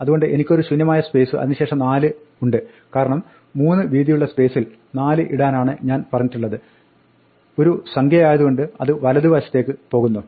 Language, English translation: Malayalam, So I have a blank space, a blank space and a 4, because I was told to put 4 in a width of 3 and think of it as a number, so since its number it goes to right hand